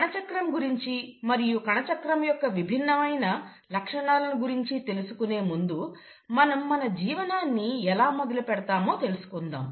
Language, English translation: Telugu, Now before I get into what is cell cycle and what are the different features of cell cycle, let’s start looking at how we start our lives